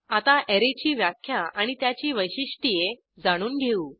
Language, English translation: Marathi, Let us start with the definition of an Array and its characteristics